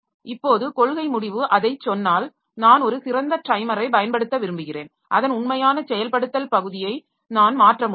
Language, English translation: Tamil, Now if the policy decision tells that, okay, I want to use a better timer, then I can go for changing the actual implementation part of it